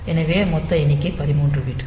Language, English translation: Tamil, So, the total number is 13 bit number